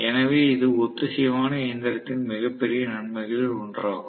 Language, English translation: Tamil, So this is one of the greatest advantages of the synchronous machine